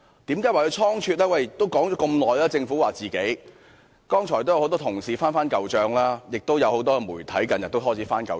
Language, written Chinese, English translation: Cantonese, 政府表示自己已就這事宜說了很久，剛才很多同事已"翻舊帳"，亦有很多媒體近日也開始"翻舊帳"。, The Government says that it has already been discussing the issue for a long time . Just now many Members cited past records to counter the Governments remark; and these days the media has also started to do so